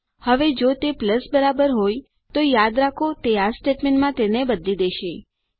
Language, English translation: Gujarati, Now if it equals to a plus, remember that it switches over to this statement